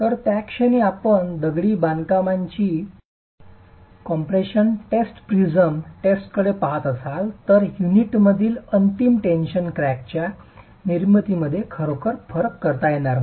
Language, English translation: Marathi, So, at that instant in time, if you were to look at masonry compression test, a prism test, you would really not be able to distinguish between the formation of the final tension cracks in the unit